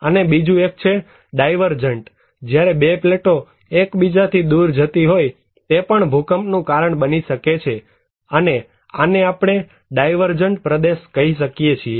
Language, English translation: Gujarati, And another one is the divergent one, when two plates are moving apart, this can also cause earthquake